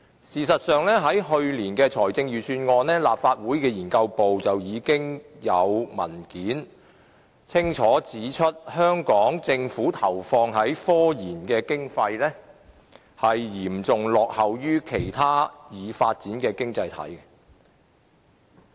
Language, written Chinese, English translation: Cantonese, 事實上，就去年的財政預算案，立法會秘書處的資料研究組已擬備文件，清楚指出香港政府投放於科研的經費嚴重落後於其他已發展經濟體。, In fact the Research Office of the Legislative Council Secretariat has prepared a paper on last years Budget which clearly states that the amount of funding invested by the Hong Kong Government in scientific research lags way behind the funding in other developed economies